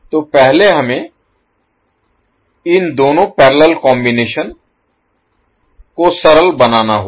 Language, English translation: Hindi, So first we have to take these two the parallel combinations and simplify it